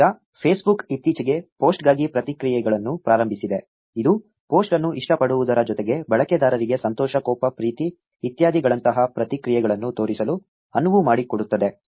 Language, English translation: Kannada, Now, Facebook recently launched reactions for post, which allows users to show reactions like happiness, anger, love, etcetera, in addition to liking a post